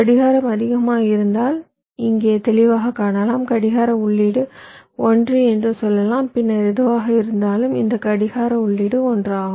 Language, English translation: Tamil, so you can see here clearly: if clock is high, lets say clock input is one, then whatever this clock input is one